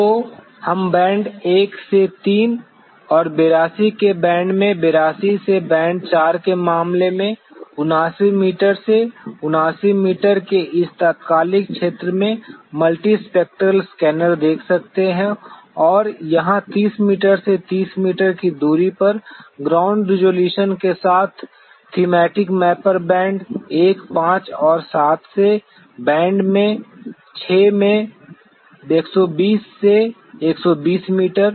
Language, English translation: Hindi, So, we could see the multispectral scanner in this Instantaneous Field Of View a 79 meter to 79 meter in case of band 1 to 3 and 82 in to 82 into band 4 and here the Thematic Mapper with a ground resolution of 30 meter by 30 meter from the band 1, 5 and 7 and 120 to 120 meters in band 6